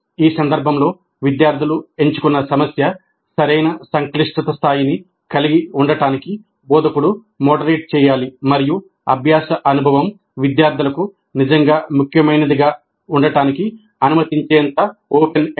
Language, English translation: Telugu, Because in this case, instructor has to moderate to ensure that the problem selected by the students is of right complexity level as well as open and read enough to permit the learning experience to be really significant for the students